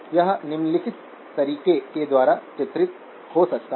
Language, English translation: Hindi, This can also be characterized in the following way